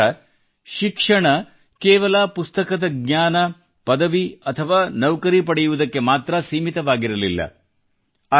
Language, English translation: Kannada, He did not consider education to be limited only to bookish knowledge, degree and job